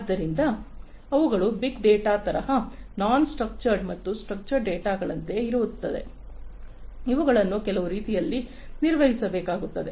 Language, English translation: Kannada, So, these are like big data, non structured as well as structured data, which will have to be handled in certain ways